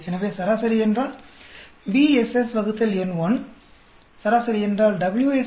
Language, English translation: Tamil, So mean means BSS by n1, mean means WSS by n2